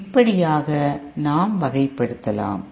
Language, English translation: Tamil, So this is how we can classify